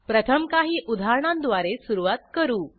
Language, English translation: Marathi, Let us first start with some examples